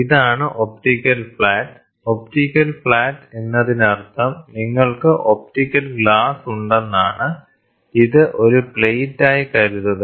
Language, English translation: Malayalam, This is the optical flat, optical flat means you have an optical optical glass, assume it as a plate